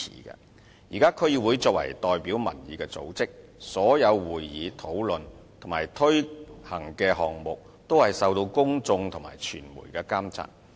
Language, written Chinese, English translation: Cantonese, 現時區議會作為代表民意的組織，所有會議、討論及推行的項目也是受到公眾和傳媒監察。, At present all meetings discussions and projects implemented by DCs as an organ representing public opinions are watched over by the public and media